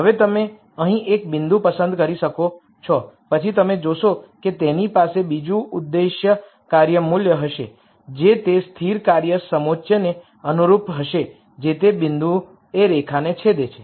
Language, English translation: Gujarati, Now you could pick a point here then you would see that it would have another objective function value which would be corresponding to the constant function contour that intersects the line at that point